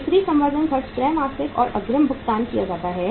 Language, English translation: Hindi, Sales promotion expenses paid quarterly and in advance